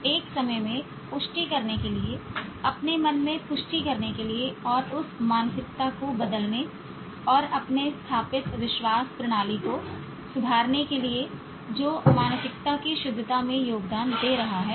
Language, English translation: Hindi, One at a time to affirm, to confirm in your mind and change that mindset and reform your established belief system that is contributing to the fixity of the mindset